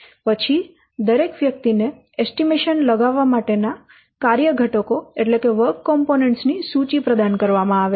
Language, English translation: Gujarati, Then each person is provided with a list of work components to estimate